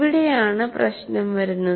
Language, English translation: Malayalam, And this is where the issue comes